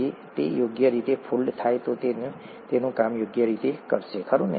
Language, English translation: Gujarati, If it folds correctly, then it will do its job properly, right